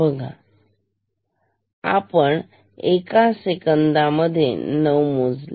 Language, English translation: Marathi, We see 9 counting 1 second